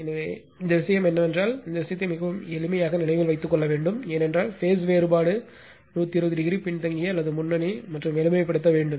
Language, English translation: Tamil, So, this all the thing is that you have to remember nothing to be this thing very simple it is right because, if phase difference is that 120 degree lagging or leading right and just you have to simplify